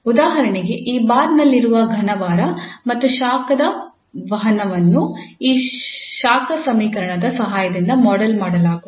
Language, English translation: Kannada, So if we have for instance a solid bar and the heat conduction in this bar can be modeled with the help of this heat equation